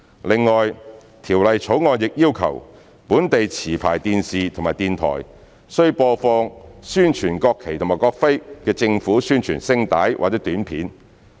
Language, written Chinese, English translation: Cantonese, 另外，《條例草案》亦要求本地持牌電視及電台，須播放宣傳國旗及國徽的政府宣傳聲帶或短片。, In addition the Bill also requires domestic television programme service licensees and sound broadcasting service licensees to promote the national flag and national emblem in the government announcements or materials that are in the public interest